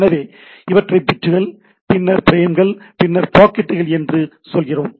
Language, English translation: Tamil, So, what we say bits then the frames then the packets